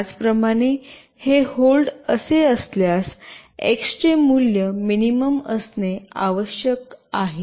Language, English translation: Marathi, Similarly if you hold it like this, value of X should be minimum